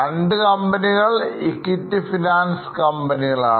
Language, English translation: Malayalam, It's an equity finance company